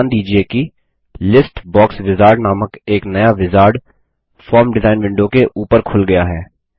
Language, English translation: Hindi, Notice that a new wizard called List Box Wizard has opened up over the Form design window